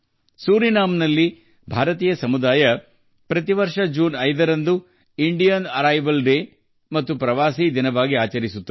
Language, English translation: Kannada, The Indian community in Suriname celebrates 5 June every year as Indian Arrival Day and Pravasi Din